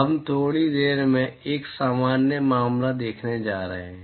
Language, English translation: Hindi, We are going to see a general case in a short while